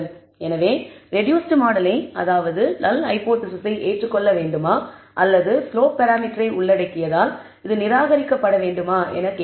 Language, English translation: Tamil, So, we are asking whether the reduced model should be accepted which is the null hypothesis or should be rejected in favour of this alternate which is to include the slope parameter